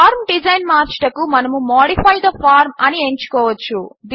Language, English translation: Telugu, To change the form design, we can choose Modify the form, which we will see later